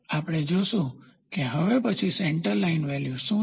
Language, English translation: Gujarati, We will see what is centre line next